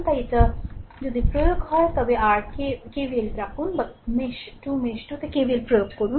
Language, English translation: Bengali, So, if you apply then what you call KVL in your what you call mesh 2 you apply KVL in mesh 2